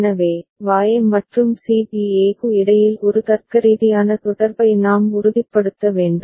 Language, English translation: Tamil, So, we have to ensure a logical connection between Y and C B A right